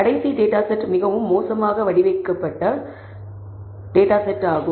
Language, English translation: Tamil, The last data set is a very poorly a designed data set